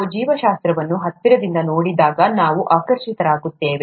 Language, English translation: Kannada, We are fascinated about when we look closer at biology